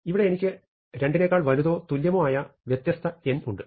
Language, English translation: Malayalam, Here, I have a different n, I have n greater than equal to 2